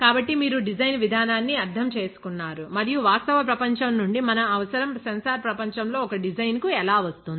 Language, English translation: Telugu, So, that you understand the design process and how our requirement from real world comes down to a design in the sensor world